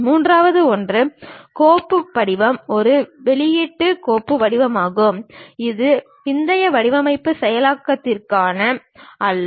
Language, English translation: Tamil, And the third one, the file format is very much an output file format and not intended for post design processing